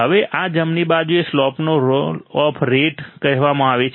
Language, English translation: Gujarati, Now, this slope right is called roll off rate